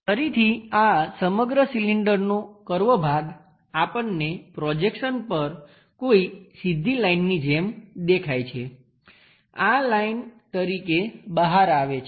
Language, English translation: Gujarati, Again this entire cylinder curved portion we see it like a straight line on the projection this one turns out to be a line